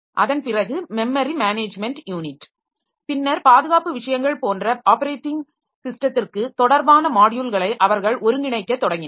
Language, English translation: Tamil, So, after that they started integrating several operating system related modules like the memory management unit, then the security things